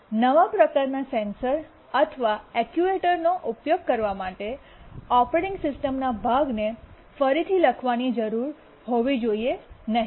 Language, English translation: Gujarati, Using a new type of sensor or actuator should not require to rewrite part of the operating system